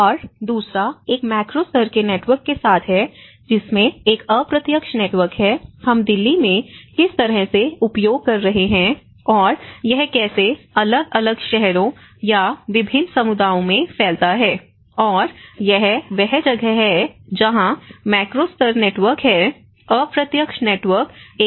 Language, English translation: Hindi, And the second one is with a macro level networks which has an indirect networks, how from what we are using in Delhi and how it is spreads to different cities or different communities across and this is where the macro level networks, it goes along with a very different indirect networks as well